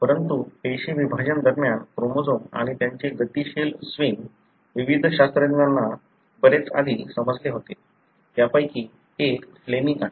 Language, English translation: Marathi, But the chromosome and their dynamic swing during the cell division, was understood much before by various scientists, one of them being Flemming